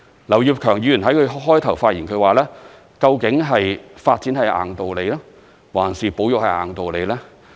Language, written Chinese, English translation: Cantonese, 劉業強議員在他一開始發言時說，究竟發展是"硬道理"，還是保育是"硬道理"呢？, At the beginning of his speech Mr Kenneth LAU asked to this effect Which of them is of unyielding importance?